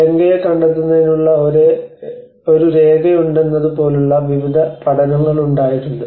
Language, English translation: Malayalam, I mean there has been various studies like there is a document on locating Lanka